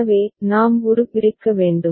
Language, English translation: Tamil, So, we need to split the a